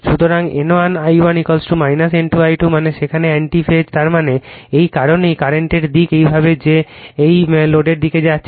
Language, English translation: Bengali, So, N 1 I 1, your is equal to your minus N 2 I 2 that means, there in anti phase, right that means, that is why the direction of the current is this way that is this going to the load